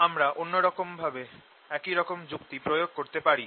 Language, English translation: Bengali, i can apply similar argument the other way